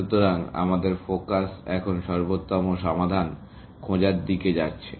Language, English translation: Bengali, So, our focus is going to be on finding optimal solutions, now